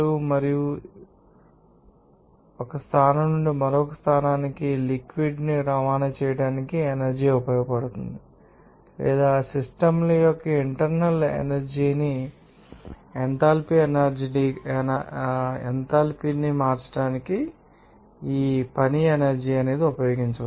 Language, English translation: Telugu, And these, you know work, energy will be utilized for transporting of fluid from one position to another position or you can use this work energy to change the internal energy or enthalpy of the systems to you know that particular process prior